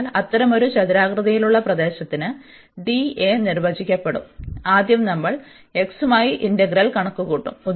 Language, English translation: Malayalam, So, over such a rectangular region d A will be defined as so first we will compute the integral with respect to x